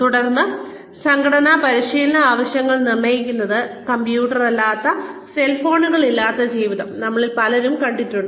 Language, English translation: Malayalam, And then, determining organizational training needs, many of us have seen a life without computers, without cell phones